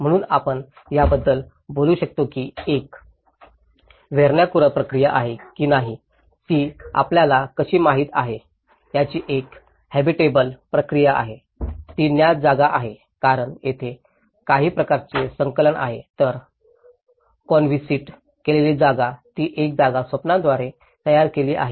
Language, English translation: Marathi, So, you can talk about whether it is a vernacular process of it, whether it is a habitable process of how you know, perceived space because there is some kind of attachment to it whereas, the conceived space, it a space produced by the visionaries